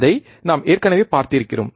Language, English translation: Tamil, That we have already seen